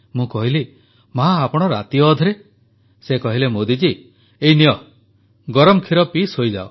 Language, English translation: Odia, ' She said 'No son, here…Modi ji, you have this warm milk and sleep thereafter'